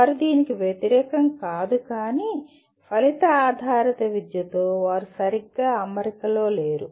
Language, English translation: Telugu, They are not in opposition to this but they are not perfectly in alignment with outcome based education